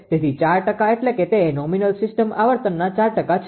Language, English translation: Gujarati, So, R 4 percent means it is 4 percent of the nominal system frequency